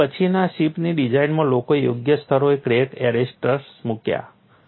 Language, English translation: Gujarati, So, in the later ship designs people have provided crack arresters at appropriate locations